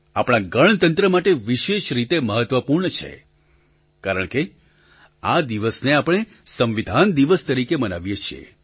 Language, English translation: Gujarati, This is especially important for our republic since we celebrate this day as Constitution Day